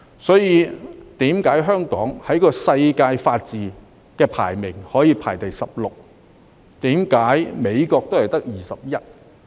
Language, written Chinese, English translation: Cantonese, 所以，為何香港可以在法治指數排名第十六位，而美國只排名第二十一位？, Therefore why Hong Kong ranks 16 in the Rule of Law Index while the United States of America only ranks 21?